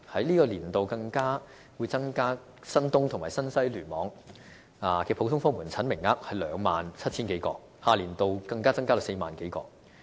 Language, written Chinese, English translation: Cantonese, 在本年度更會增加新界東及新界西聯網的普通科門診名額至 27,000 多個，下年度再增加至 40,000 多個。, Moreover the service quota for general outpatient clinics in the New Territories East Cluster and New Territories West Cluster will be increased to 27 000 this year and to 40 000 in the following year